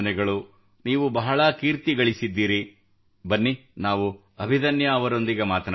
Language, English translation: Kannada, You have made a big name, let us talk to Abhidanya